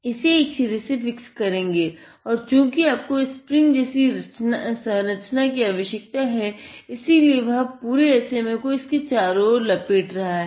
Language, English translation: Hindi, Fix it on one end and then you have, because we need a spring like mechanism; so, he is rotating the entire SMA across it